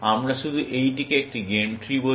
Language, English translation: Bengali, We just say this, a game tree